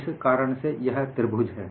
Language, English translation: Hindi, Again, this triangle